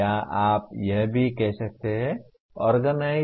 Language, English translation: Hindi, Or you can also say organize